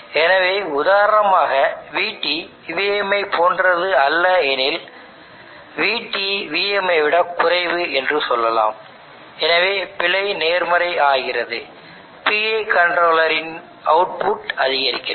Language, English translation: Tamil, So let us say for example that VT is not same as VM, let us say VT is less than VM then error is positive higher VI controller the output of this increases